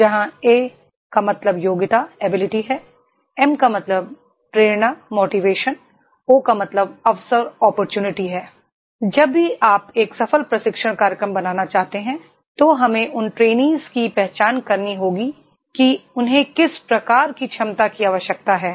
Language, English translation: Hindi, Where, A = Ability M = Motivation O = Opportunity Whenever you want to make a successful training programs first we have to identify those who are the trainees what type of ability they require